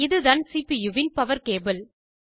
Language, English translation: Tamil, This is the power cable of the CPU